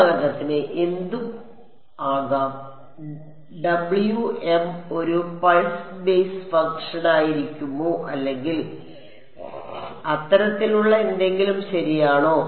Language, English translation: Malayalam, Can W m be anything for example, can Wm be a pulse basis function or something like that right